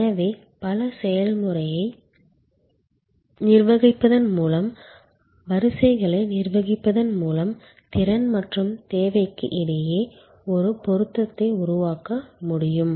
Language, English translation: Tamil, So, that by managing queues by managing multiple process steps, where able to create a match between capacity and demand